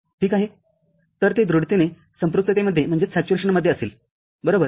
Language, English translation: Marathi, So, it will be firmly in saturation right